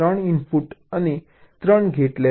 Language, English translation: Gujarati, take a three input and gate